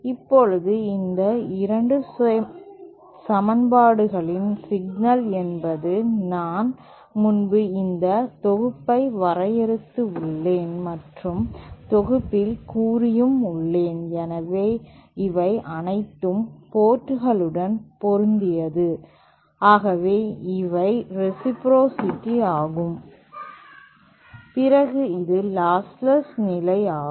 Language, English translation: Tamil, Now the problem with these 2 sets of equations, this set that I derived previously, that I had stated previously and this another set, so these were all ports matched, these were for reciprocity and this was the condition for losslessness